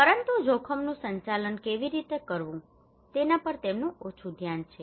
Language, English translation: Gujarati, But they have less focus on how to manage the risk